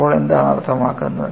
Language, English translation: Malayalam, So, what is the implication